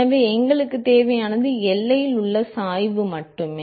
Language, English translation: Tamil, So, all we need is you only need the gradient at the boundary